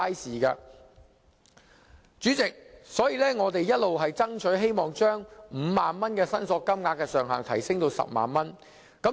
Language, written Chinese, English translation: Cantonese, 所以，代理主席，我們一直爭取把5萬元申索金額的上限提升至10萬元。, This is very common . So Deputy President we have striven to raise the claim limit from 50,000 to 100,000